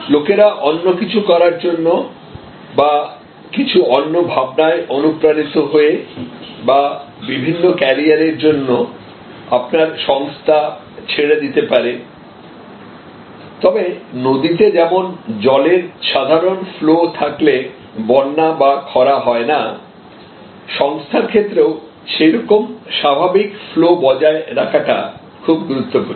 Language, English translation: Bengali, People may leave for higher pursuits or different pursuit or different careers, but just like a river in a normal flow will neither have flood nor will have drought, that normal flow maintenance is very important